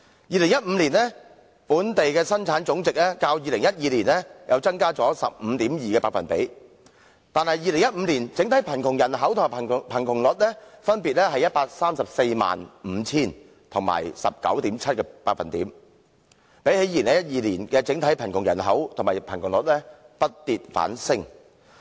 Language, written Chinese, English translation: Cantonese, 2015年本地生產總值較2012年增加 15.2%， 但2015年的整體貧窮人口及貧窮率分別是 1,345 000人及 19.7%， 與2012年的整體貧窮人口及貧窮率比較，不跌反升。, The gross domestic product GDP of Hong Kong in 2015 has increased by 15.2 % as compared with the GDP in 2012 . But the overall poor population size and the poverty rate in 2015 were 1 345 000 persons and 19.7 % respectively which were higher rather than lower than the overall poor population size and the poverty rate in 2012